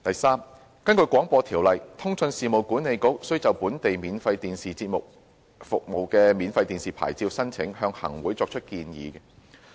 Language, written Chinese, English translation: Cantonese, 三根據《廣播條例》，通訊事務管理局須就本地免費電視節目服務牌照申請向行政長官會同行政會議作出建議。, 3 Under the Broadcasting Ordinance BO the Communications Authority CA shall make recommendations to the Chief Executive in Council on applications for domestic free television programme service free TV licences